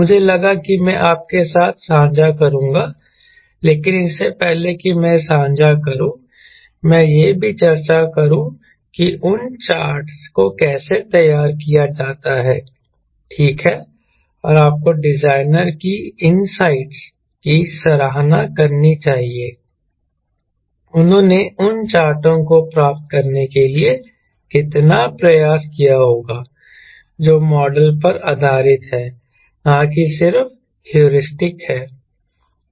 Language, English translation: Hindi, but before i share, let me also discuss how those charts are prepared right, and you must appreciate the designers insights, how much they might have put effort to get those charts in a manner which is based on the model ok, not just heuristic